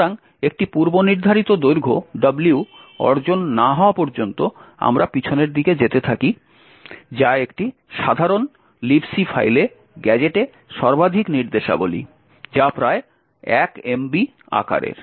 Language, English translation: Bengali, So, we keep going backwards until a predefined length W is achieved, which is the maximum number of instructions in the gadget in a typical libc file which is about 1 megabyte in size